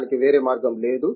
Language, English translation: Telugu, There is no other way out that